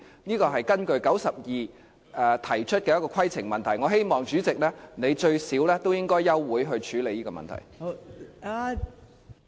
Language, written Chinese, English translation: Cantonese, 這是根據第92條提出的規程問題，我希望代理主席你最低限度也應該休會處理這個問題。, I base my point of order on RoP 92 . I hope Deputy President would at least adjourn the meeting to handle this issue